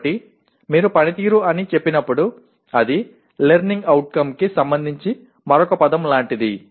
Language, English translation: Telugu, So somehow when you merely say performance it is like another word for learning outcome, okay